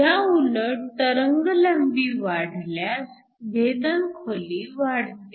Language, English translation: Marathi, Whereas the wavelength increases the penetration depth also increases